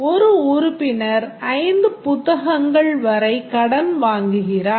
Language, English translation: Tamil, A member borrows up to five books